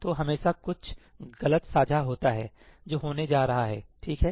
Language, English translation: Hindi, So, there is always some false sharing that is going to happen, right